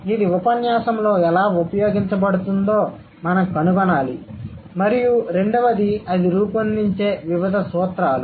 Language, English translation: Telugu, We need to find out how it is used in the discourse and second, what are the various principles that it shapes or these uses